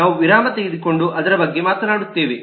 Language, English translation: Kannada, we will take a brake and talk about that